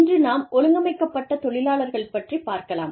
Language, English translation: Tamil, Today, we will talk about, organized labor